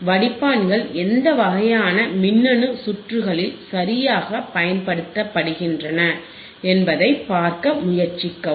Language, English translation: Tamil, Right aAnd try to see in which kind of electronic circuits the filters are used right